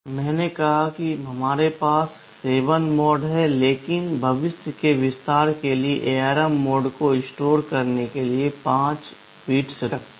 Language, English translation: Hindi, I said there are 7 modes, but to keep with future expansion ARM keeps 5 bits to store mode